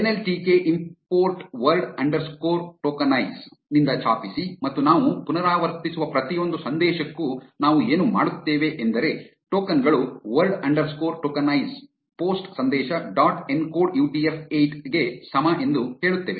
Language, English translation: Kannada, Type from nltk import word underscore tokenize and for every message that we are iterating, what we will do is we will say tokens is equal to word underscore tokenize post message dot encode UTF 8